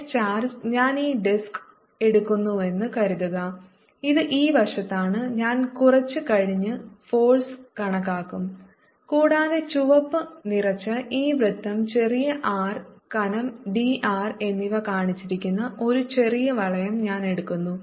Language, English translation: Malayalam, suppose i take this disc this is on the side, i'll calculate the force little later and i take a small ring, here shown by this red filled circle of radius small r and thickness d r